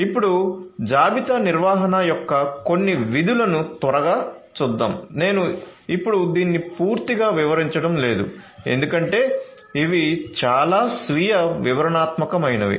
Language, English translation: Telugu, So, now let us quickly go through some of the functions of inventory management I am not going to elaborate this because these are quite self explanatory